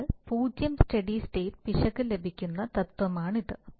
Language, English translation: Malayalam, So that is the principle by which 0 steady state error is obtained